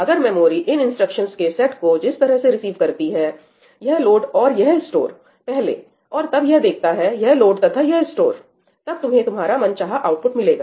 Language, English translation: Hindi, If the memory receives this set of instructions this load and this store ñ first, and then it sees this load and this store, you will get what you desired, right